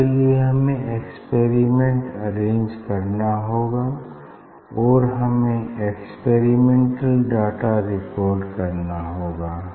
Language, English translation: Hindi, for that we have to arrange the experiment and you need experimental data recording